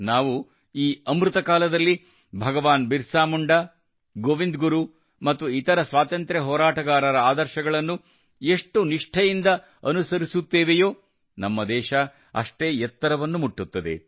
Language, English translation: Kannada, The more faithfully we follow the ideals of Bhagwan Birsa Munda, Govind Guru and other freedom fighters during Amrit Kaal, the more our country will touch newer heights